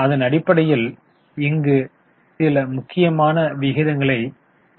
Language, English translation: Tamil, Okay, so we have just calculated few important ratios here